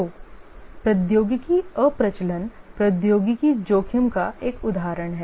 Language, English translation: Hindi, So the technology obsolescence is an example of a technology risk